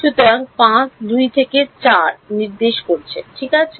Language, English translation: Bengali, So, 5 is pointing from 2 to 4 ok